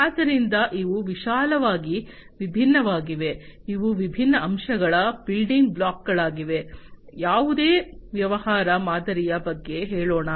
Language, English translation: Kannada, So, these are the different broadly, these are the different aspects the building blocks, let us say of any business model